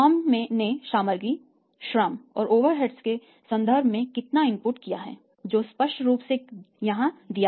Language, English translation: Hindi, So, how much input the firm is made in terms of the material, labour and overheads that is clearly given here